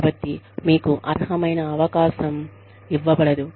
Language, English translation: Telugu, So, you are not given the opportunity, you deserve